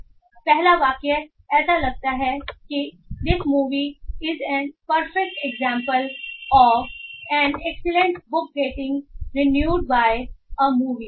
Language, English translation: Hindi, So the first sentence looks like this movie is a perfect example of an excellent book getting ruined by a movie